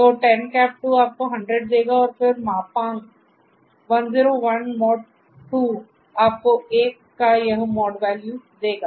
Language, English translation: Hindi, So, 10 ^ 2 will give you 100 and then modulus 101 %2 will give you this mod value of 1